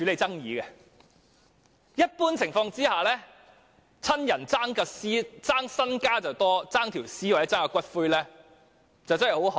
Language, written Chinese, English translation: Cantonese, 在一般情況下，親人只會爭家產，甚少會爭奪遺體或骨灰。, Under the usual circumstances the relatives will only contend for the estate . They seldom contend for corpses or ashes